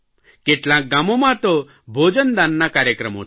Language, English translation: Gujarati, In some villages people organised food donation on this occasion